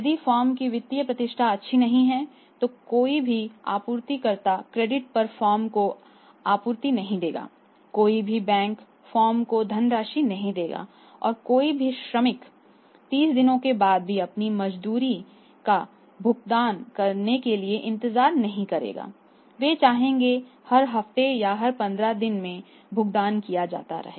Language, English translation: Hindi, If the financial reputation of the firm is not good, no supplier will supply to the firm on credit no bank give the funds to firms to the firm and no say worker of the company would wait for their wages to be paid after even 30 days they would like that they should you paid every week or every 15 days